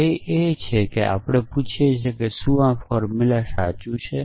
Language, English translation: Gujarati, So, the goal is we asking whether this formula is true